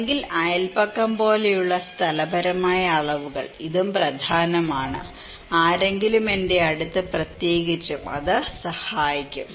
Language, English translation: Malayalam, Or the spatial dimensions like neighbourhood, this is also important, if someone is at my close to me especially, it can help